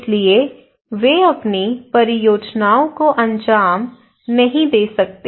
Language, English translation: Hindi, So they cannot carry out their own projects